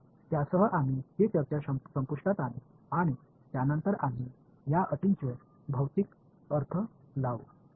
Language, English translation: Marathi, So, with that, we will bring this discussion to an end and subsequently we will look at the physical interpretation of these terms